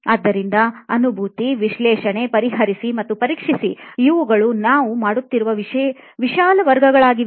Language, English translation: Kannada, So empathize, analyze, solve and test so these are the sort of broad categories what we are doing